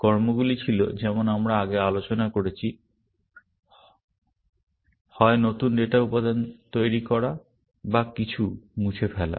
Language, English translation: Bengali, The actions were, as we discussed earlier; either, making new data elements or deleting some